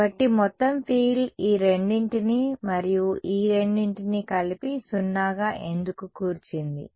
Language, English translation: Telugu, So, that is why the total field is composed of both of these and both of these together as 0